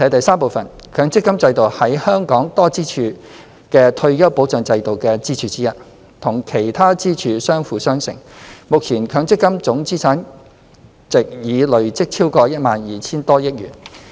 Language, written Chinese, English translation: Cantonese, 三強積金制度是本港多支柱的退休保障制度的支柱之一，與其他支柱相輔相成，目前強積金總資產值已累積超過 12,000 億元。, 3 The MPF system being one of the pillars of the multi - pronged retirement protection framework of Hong Kong complements with other pillars thereof . The total MPF assets have been accumulated to over 1,200 billion